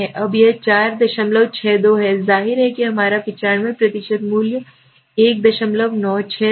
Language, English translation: Hindi, 62 is obviously our 95% value was 1